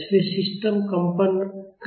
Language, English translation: Hindi, so, the system will vibrate